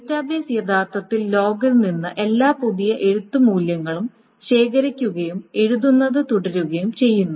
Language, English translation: Malayalam, So the database actually collects all those new right values from the log and just keeps on doing the right